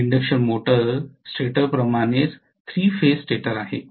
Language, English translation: Marathi, It is a 3 phase stator similar to induction motor stator